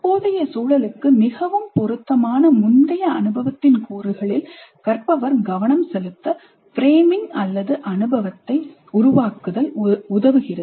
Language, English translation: Tamil, Framing helps in making learner focus on the elements of prior experience that are most relevant to the present context